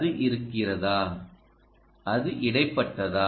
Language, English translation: Tamil, is it not intermittent